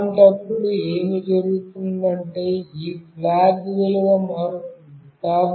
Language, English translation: Telugu, In that case, what will happen is that this flag value will change